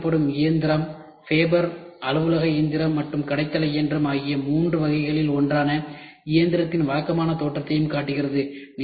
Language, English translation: Tamil, The machine displayed show the typical appearance of the machine belonging to one of the three categories fabber, office machine and shop floor